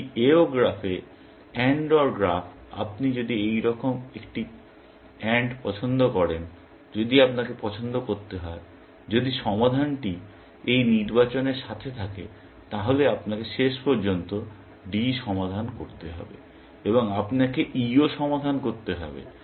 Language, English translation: Bengali, In a AO graph; AND OR graph, if you are at an AND choice like this, if you have to, if the solution is along this selection, you will have to eventually solve D, and you will have to solve E also